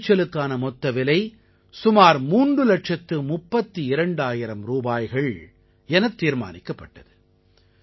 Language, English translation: Tamil, The total cost of the produce was fixed at approximately Rupees Three Lakh thirty two thousand